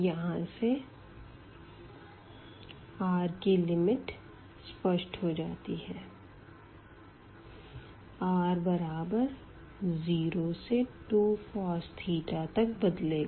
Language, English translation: Hindi, So, the limits of r is also clear now, r is going from 0 to 2 cos theta